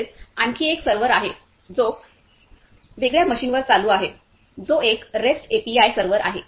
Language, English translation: Marathi, Also there is another server which is running up or which is running on a different machine which is a REST API server